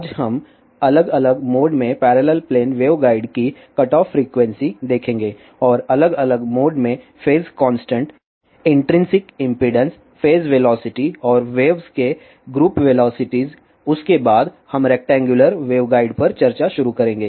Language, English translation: Hindi, Today, we will see the cutoff frequency of parallel plane waveguides indifferent modes and phase constant intrinsic impedances phase velocity and group velocities of the waves in different modes, after that we will start the discussion on rectangular waveguide